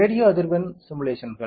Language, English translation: Tamil, Radio frequency simulations